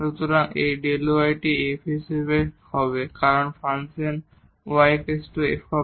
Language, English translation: Bengali, So, this delta y is as f because the function is y is equal to f x